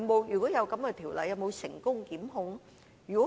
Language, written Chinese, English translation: Cantonese, 如有的話，有否成功檢控個案？, If so is there any successful prosecution?